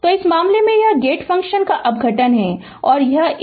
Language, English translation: Hindi, So, in this case this is a decomposition of the gate function; this one and this one